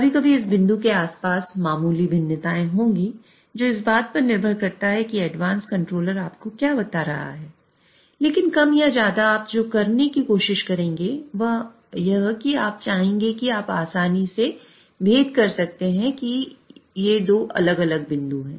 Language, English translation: Hindi, Sometimes there will be minor variations around this point depending on what advanced controller is telling you and but more or less what you will try to do is you will want to you you can easily distinguish there are two different points